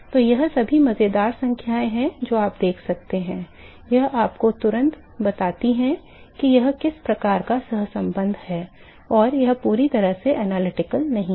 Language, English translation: Hindi, So, all this funny numbers you can see immediately tells you that it some sort of correlation this is not completely analytical ok